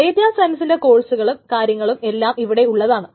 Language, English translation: Malayalam, And there is data science courses and there are data science things that is there